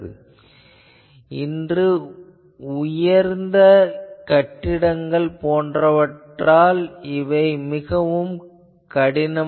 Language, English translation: Tamil, But nowadays with the high rise buildings etc